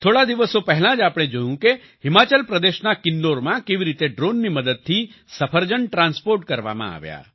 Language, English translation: Gujarati, A few days ago we saw how apples were transported through drones in Kinnaur, Himachal Pradesh